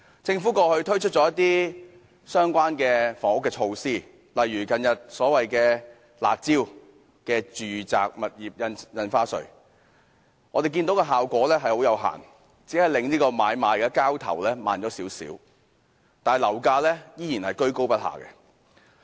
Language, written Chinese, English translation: Cantonese, 政府過去推出一些相關的房屋措施，例如所謂"辣招"的住宅物業印花稅，我們看到效果有限，只令買賣交投慢了少許，但樓價依然高踞不下。, The series of relevant housing measures implemented by the Government in the past such as the so - called curb measures concerning the ad valorem stamp duty on residential properties have limited effect . Property transactions may slow down a little but property prices remain persistently high . Other policies have no effect at all